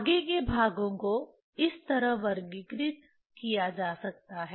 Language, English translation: Hindi, Further parts can be can be categorized like this